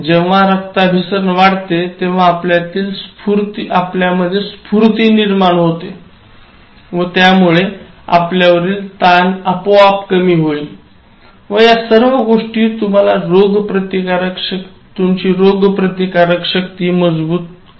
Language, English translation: Marathi, So, when blood circulation is there normally you will feel very active and it will automatically suppress stress and overall it strengthens your immune system